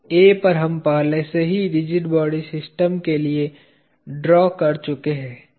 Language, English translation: Hindi, At A we already drawn for the system of rigid body